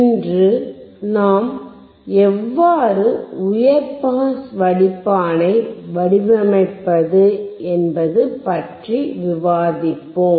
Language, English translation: Tamil, Today we will discuss how to design the high pass filter